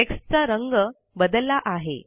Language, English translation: Marathi, The color of the text has changed